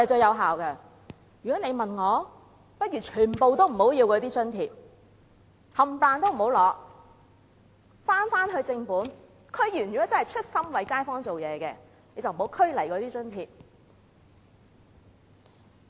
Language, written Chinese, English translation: Cantonese, 如果問我，我認為倒不如全部津貼都不要，區議員如果真的是出心為街坊做事，便不要拘泥那些津貼。, In my personal opinion however I would rather decline all the allowances . If DC members are truly sincere in serving kaifongs they should not care about the allowances